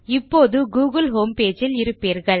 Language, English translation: Tamil, You will now be in the google homepage